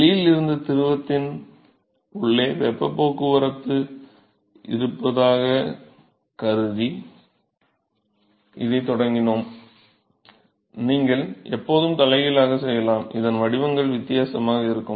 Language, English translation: Tamil, So, we started the discussion by assuming that there is heat transport from the outside to the inside of the fluid, you can always do the reverse it does not matter the profiles will be different